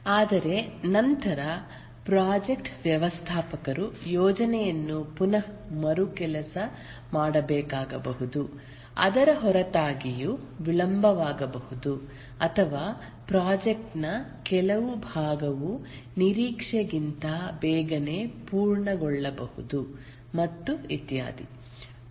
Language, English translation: Kannada, But then the project manager might have to rework the plan because even in spite of that there will be delays or there may be some part of the project may get completed quickly than anticipated and so on